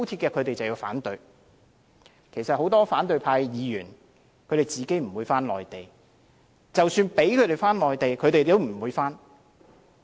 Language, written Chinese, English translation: Cantonese, 其實很多反對派議員本身不會返回內地，即使讓他們回去，他們也不會回去。, Actually many opposition Members will not go to the Mainland . They will not go there even if they are permitted to do so